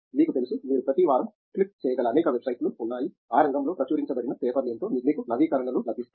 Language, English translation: Telugu, You know, there are many websites where you can click it every week, you get updates what are the papers published on that area